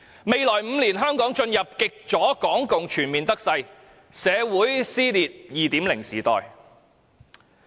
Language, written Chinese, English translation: Cantonese, 未來5年，香港將進入極左港共全面得勢而社會撕裂的 2.0 時代。, In the next five years Hong Kong will enter a new era of 2.0 when the extreme leftist rises to power to rule a torn - apart community